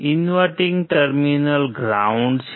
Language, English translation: Gujarati, The inverting terminal is grounded